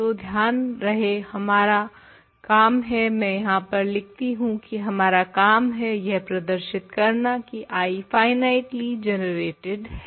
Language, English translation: Hindi, So, remember the goal is so, I will write that here goal is to show I is finitely generated